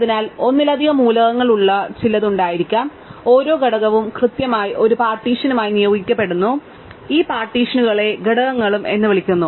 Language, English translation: Malayalam, So, there may be some which have more than one element and each element is assigned to exactly one partition, right and we call these partitions also components